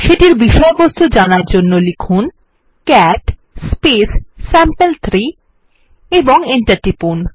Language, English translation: Bengali, Let us see its content, for that we will type cat space sample3 and press enter